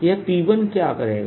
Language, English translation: Hindi, what would this p one do